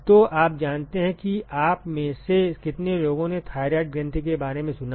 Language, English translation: Hindi, So, you know how many of you have heard about thyroid gland oh most of you